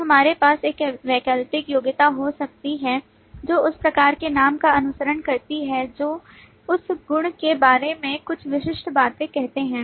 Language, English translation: Hindi, Then we may have an optional qualifier that follow that type name which say certain specific things about that property